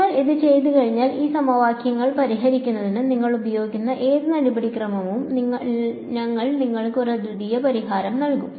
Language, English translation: Malayalam, Once you do that you are guaranteed that whatever procedure you use for solving these equations, we will give you a unique solution